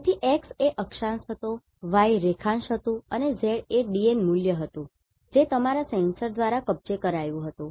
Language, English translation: Gujarati, So, x was latitude y was longitude and Z was the DN value which was captured by your sensor